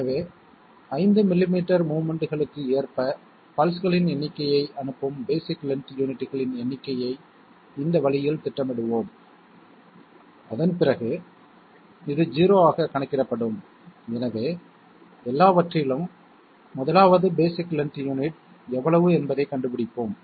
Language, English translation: Tamil, So let us let us plan it in this way that the number of basic length units corresponding to that the number of pulses are sent corresponding to 5 millimetres of movements, after that this will be counted down to 0, so let us 1st of all find out how much is the basic length unit